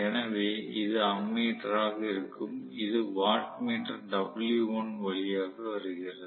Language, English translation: Tamil, So, this is going to be ammeter and this is coming through the watt meter w1